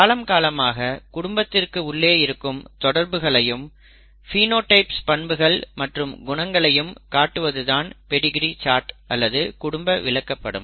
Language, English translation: Tamil, Pedigree charts or family charts show the family relationships over history and phenotypes characters, characteristics